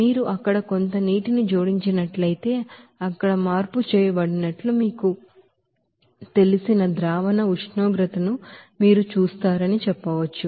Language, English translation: Telugu, So you can say that if you add some water there you will see that solution temperature will be you know changed there